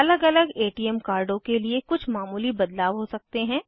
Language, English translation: Hindi, There could be minor variations in different ATM cards